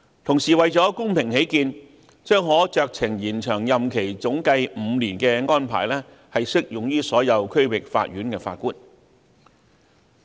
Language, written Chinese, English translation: Cantonese, 同時，為了公平起見，總計可酌情延長任期5年的安排將適用於所有區域法院的法官。, Meanwhile for paritys sake discretionary extension of term of office with an extension period of not exceeding five years in aggregate will apply to all District Judges